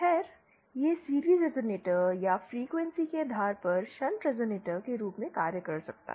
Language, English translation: Hindi, Well, that can act as a series resonator or a shunt resonator depending on the frequency